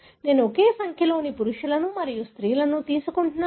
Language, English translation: Telugu, I am taking similar number of males and females